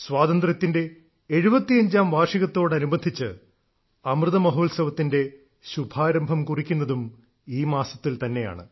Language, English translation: Malayalam, This very month is the one that marks the commencement of 'Amrit Mahotsav' of the 75 years of Independence